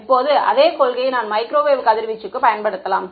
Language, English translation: Tamil, Now, the same principle I can apply to microwave radiation right